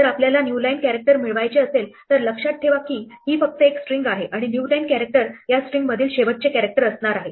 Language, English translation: Marathi, If we want to get with a new line character, remember this is only a string and the new line character is going to be a last character in this string